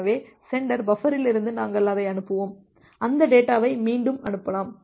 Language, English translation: Tamil, So, this is the sender buffer we will send that, retransmit that data